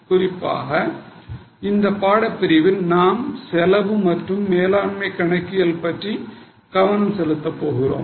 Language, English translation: Tamil, In this particular course we are going to focus on cost and management accounting